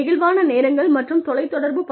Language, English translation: Tamil, Flexi times and telecommuting